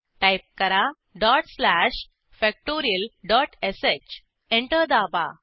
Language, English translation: Marathi, Type dot slash factorial.sh Press Enter